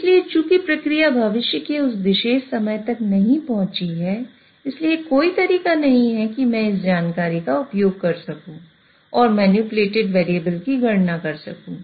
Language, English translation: Hindi, So, if as the process has not reached that particular future time, there is no way I can use this information and calculate the manipulated variable